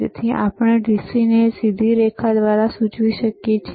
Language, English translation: Gujarati, That is why we indicate DC by a straight line